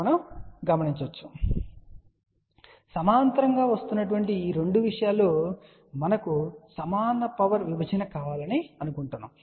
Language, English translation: Telugu, So, if the 2 things which are coming in parallel and we want equal power division